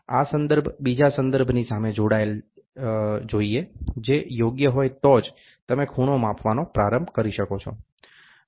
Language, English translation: Gujarati, This reference should butt against another reference which is perfect then, only you can start measuring the angles